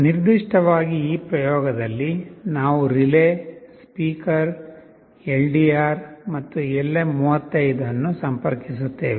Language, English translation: Kannada, Specifically in this experiment we will be interfacing a relay, a speaker, a LDR and LM35